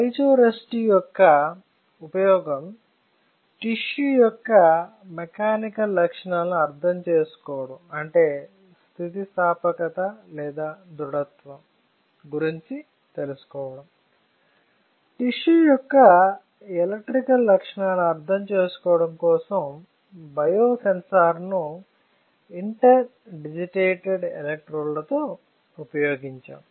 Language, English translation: Telugu, The use of the piezo resistor was to understand the mechanical properties of the tissue or you can say elasticity or you can say stiffness; while the use of the biosensor with interdigitated electrodes was to understand the electrical properties of the tissue